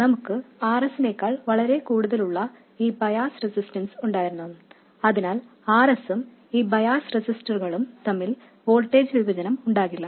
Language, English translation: Malayalam, And we have these bias resistors which are made to be much more than R S so that there is no voltage division between R S and these bias resistors